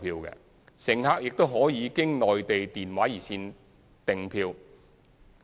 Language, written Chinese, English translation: Cantonese, 乘客也可經內地電話熱線訂票。, Further passengers may order their tickets through the Mainlands ticketing hotline